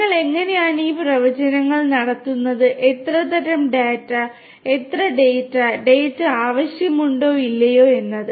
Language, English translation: Malayalam, How you make these predictions; what kind of data how much of data; whether data will at all be required or not